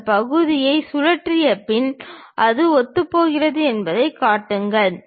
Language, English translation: Tamil, After revolving that part, showing that it coincides that